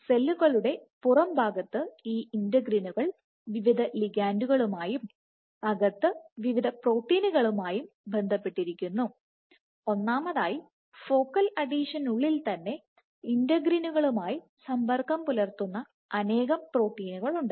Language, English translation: Malayalam, So, on the extracellular side these integrins would bind to various ligands and on the intracellular side to various proteins, first of all within the focal adhesion itself, you have multiple proteins which interact with integrins